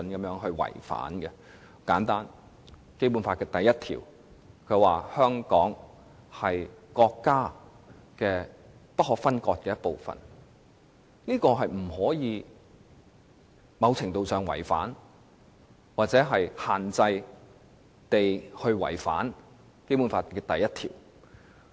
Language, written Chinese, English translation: Cantonese, 例如，根據《基本法》第一條，香港是國家不可分割的一部分，因此不可能出現某程度違反或限制違反《基本法》第一條的情況。, Nor can there be violation of proportionality . For instance under Article 1 of the Basic Law the Hong Kong Special Administrative Region is an inalienable part of the Peoples Republic of China . As such violation or limited violation of Article 1 of the Basic Law is out of the question